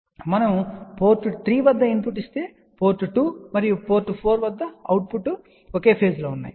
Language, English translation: Telugu, And when we give input at port 3, then the output at port 2 and port 4 are in the same phases